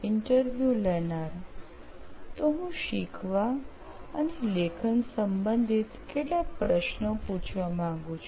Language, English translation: Gujarati, So I would like to ask a few questions related to learning and writing